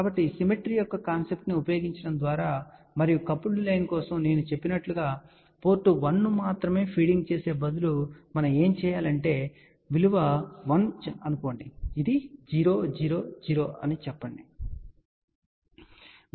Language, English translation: Telugu, So, by using the concept of the symmetry and as I mentioned for the coupled line what do we do instead of feeding only port 1 which is value let us say 1, this is 0, 0, 0